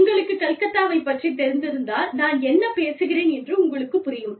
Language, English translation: Tamil, You know, i mean, if you are familiar with Calcutta, you know, what i am talking about